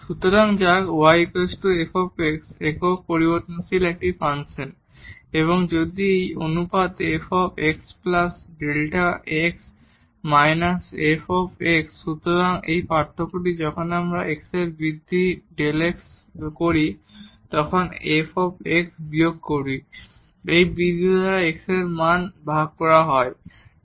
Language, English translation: Bengali, So, let f x y is equal to f x be a function of single variable and if this ratio f x plus delta x minus f x; so this difference when we make an increment delta x in x and minus the f x the value at x divided by this increment